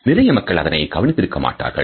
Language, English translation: Tamil, Most people do not even notice them